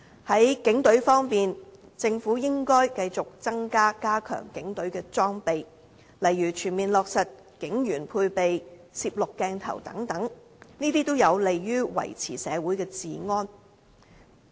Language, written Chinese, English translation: Cantonese, 在警隊方面，政府應要繼續加強警隊的裝備，例如全面落實警員配備攝錄鏡頭等，這些也有利於維持社會治安。, Moreover the Government should keep on providing better equipment to the Police such as comprehensively equipping policemen with video recording devices and so on . Such moves are conducive for maintaining public order